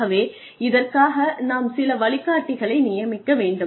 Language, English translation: Tamil, So, there should be some mentor assigned